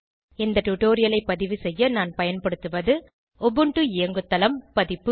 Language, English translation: Tamil, To record this tutorial, I am using * Ubuntu OS version